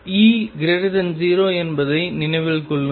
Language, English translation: Tamil, Keep in mind that E is greater than 0